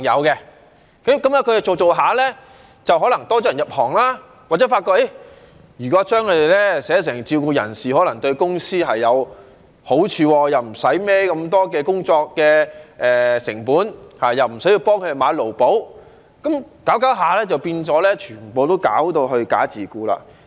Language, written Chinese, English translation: Cantonese, 他們做了一段時間，可能多了人入行，或者這些公司發覺如果在合約上將他們寫成自僱人士，可能對公司有好處，不用背負這麼多工作成本，亦不用幫他們買"勞保"，這樣下去就變成他們全部都"假自僱"。, But after engaging in the business for quite some time and probably with many more people joining the industry some companies have come to realize that it may bring advantage to their companies if they classify their workers as self - employed in the contract as they do not have to bear so much operating cost or acquire labour insurance for them as a result . As this mindset persists all their workers have been disguised as self - employed workers